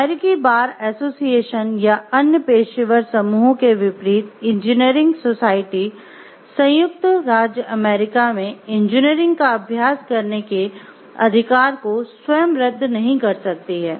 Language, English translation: Hindi, Unlike the American bar association or other professional groups engineering societies cannot by themselves revoke the right to practice engineering in the United States